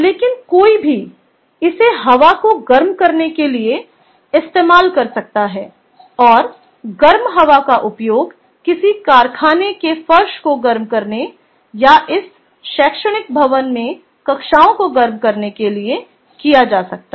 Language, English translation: Hindi, use it for heating up air, ok, and the heated air can used for heating of a factory floor or heating of a ah of of, lets say, these classrooms that is there in this academic building